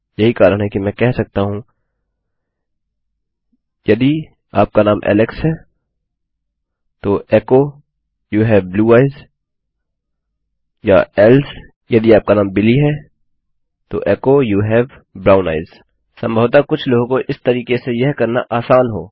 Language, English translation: Hindi, That is I could say IF your name is Alex then echo you have blue eyes or ELSE IF your name is Billy you have brown eyes Probably for some people its easy to do it this way